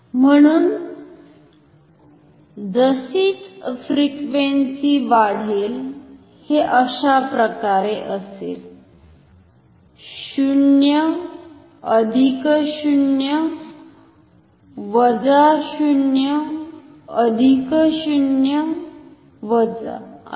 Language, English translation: Marathi, So, as frequency increases it will be like 0 sorry 0 plus 0 minus, 0 plus 0 minus, 0 plus 0 minus like that